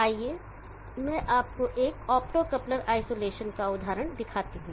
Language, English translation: Hindi, Here is an example of an optocoupler isolation